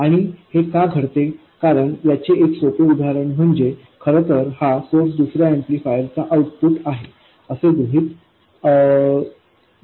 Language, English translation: Marathi, Because one easy example is to consider where this source is really the output of another amplifier